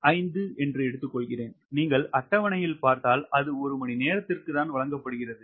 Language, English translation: Tamil, so at a point five, and if you see in the table, it is given per hour